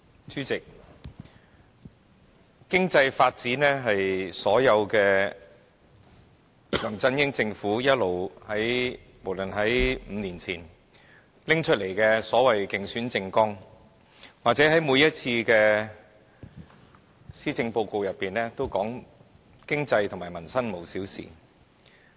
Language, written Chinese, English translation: Cantonese, 主席，經濟發展一直是梁振英政府強調的要務，不論是5年前提出的政綱或每年的施政報告，莫不表示"經濟、民生無小事"。, President the LEUNG Chun - ying administration has been emphasizing that economic development is its priority task . The saying that nothing about the economy and peoples livelihood is trivial is mentioned in his election manifesto five years ago and his successive annual policy addresses